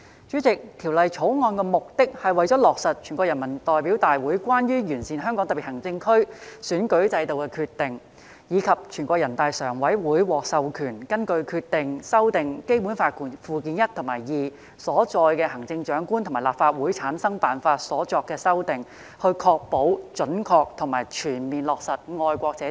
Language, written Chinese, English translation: Cantonese, 主席，《條例草案》的目的是落實《全國人民代表大會關於完善香港特別行政區選舉制度的決定》，以及全國人民代表大會常務委員會獲授權根據《決定》就《基本法》附件一和附件二所載行政長官和立法會產生辦法所作的修訂，以確保準確及全面落實"愛國者治港"。, President the purpose of the Bill is to implement the Decision of the National Peoples Congress on Improving the Electoral System of the Hong Kong Special Administrative Region and the amendments to the methods for the selection of the Chief Executive and formation of the Legislative Council as set out in Annexes I and II to the Basic Law which the Standing Committee of the National Peoples Congress was authorized to make under the Decision so as to ensure the accurate and full implementation of patriots administering Hong Kong